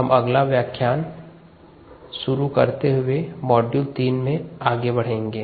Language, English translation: Hindi, when we begin the next lecture we will take module three forward